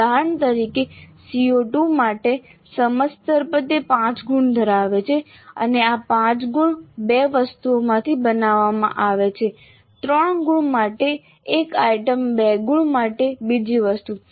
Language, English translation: Gujarati, So for CO2 for example at understand level it is to have 5 marks and these 5 marks are made from 2 items, one item for 3 marks, another item for 2 marks